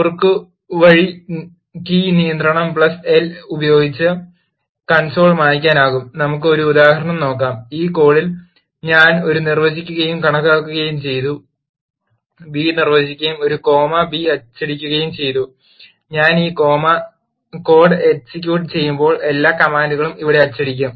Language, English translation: Malayalam, The console can be cleared using the shortcut key control plus L, let us look at an example, in this code I have defined a and calculated b and printed a comma b, when I execute this code using source with echo all the commands will get printed here